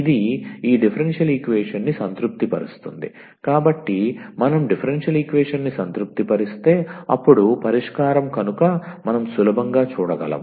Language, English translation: Telugu, This satisfies this differential equation, so if you satisfies the differential equation, then is solution so which we can easily see